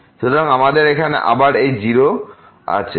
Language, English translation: Bengali, So, we have here again this 0